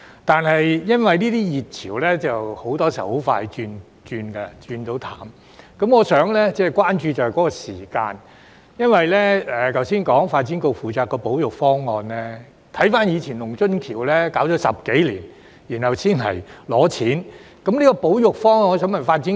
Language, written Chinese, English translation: Cantonese, 但是，由於這些熱潮很多時候很快便冷卻，我關注的是相關的時間表，因為剛才提到發展局負責該處的保育方案，但回顧過去的龍津橋保育耗時10多年，然後才提上來申請撥款。, My concern is about the timetable . It was just mentioned that DEVB would take charge of the conservation proposal . However if we refer to the conservation of the Lung Tsun Stone Bridge it has taken more than 10 years to for the proposal to be submitted to the Legislative Council for funding approval